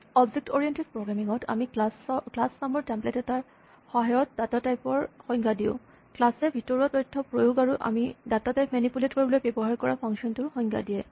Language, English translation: Assamese, In the lecture, we saw that in object oriented programming we define a data type through a template called a class, which defines the internal data implementation, and the functions that we use to manipulate the data type